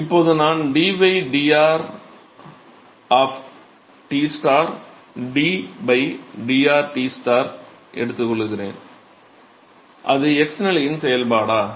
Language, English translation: Tamil, So, supposing now I take d by dr of Tstar d by dr of Tstar, is that a function of the x position